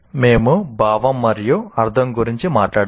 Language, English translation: Telugu, We have talked about sense and meaning